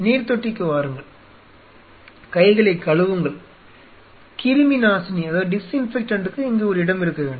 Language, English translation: Tamil, Come to the sink you wash your hands and you should have a place for disinfectant here